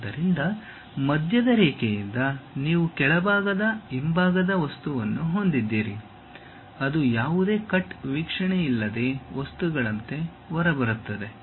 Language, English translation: Kannada, So, from center line you have the bottom back side object which really comes out like a material without any cut view